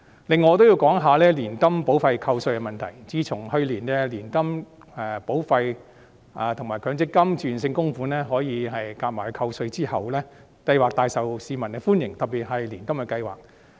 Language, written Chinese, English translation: Cantonese, 此外，我亦會談談年金保費扣稅的問題，自從去年年金保費及強積金自願性供款可以合計扣稅後，有關計劃廣受市民歡迎，特別是年金計劃。, In addition I would also like to talk about tax deductions for annuity premiums . Since the introduction of an aggregate tax deductible limit for annuity premiums and Mandatory Provident Fund MPF voluntary contributions last year the relevant schemes have been well received by the public particularly annuity schemes